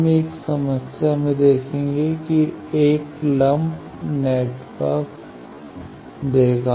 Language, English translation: Hindi, We will see in one problem will give a lumped network